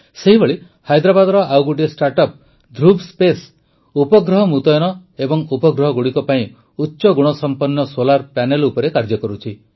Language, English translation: Odia, Similarly, Dhruva Space, another StartUp of Hyderabad, is working on High Technology Solar Panels for Satellite Deployer and Satellites